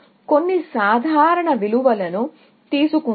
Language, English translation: Telugu, Let us take some simple values